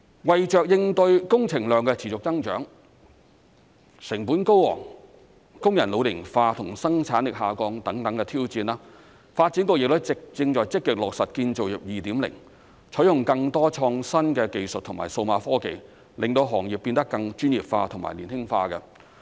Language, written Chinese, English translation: Cantonese, 為應對工程量持續增長、成本高昂、工人老齡化及生產力下降等挑戰，發展局正在積極落實"建造業 2.0"， 採用更多創新技術和數碼科技令行業變得更專業化和年輕化。, To meet the challenges of the growing volume of construction works high costs ageing workers and declining productivity DB is actively implementing Construction 2.0 by adopting more innovative technologies and digital technologies in order to enhance the professionalism of the industry and absorb younger workers